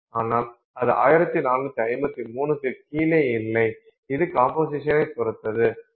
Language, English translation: Tamil, So, but that is not exactly below 1453 it depends on composition